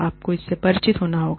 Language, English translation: Hindi, You have to be, familiar with it